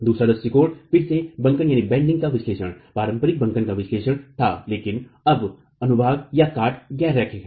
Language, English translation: Hindi, The second approach was again bending analysis, conventional bending analysis but the section now is non linear